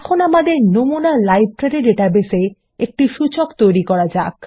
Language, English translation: Bengali, Now let us create an index in our example Library database